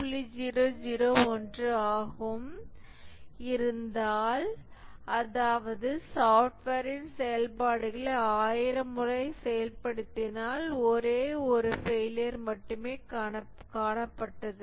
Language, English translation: Tamil, 001, that means that if we executed the functionalities of the software thousand times, then only one failure was observed